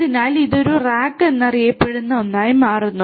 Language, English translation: Malayalam, So, this forms something known as a rack